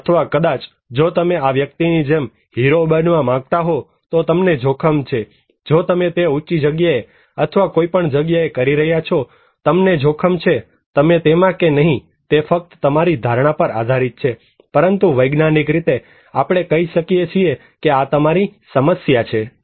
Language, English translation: Gujarati, Or maybe if you want to be a flamboyant hero like this guy you are at risk, if you are doing it at high or any place, you are at risk, you believe it or not, is simply up to your perceptions, but scientifically we can tell that this is your problem